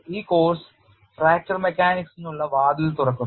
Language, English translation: Malayalam, This course open the door way for fracture mechanics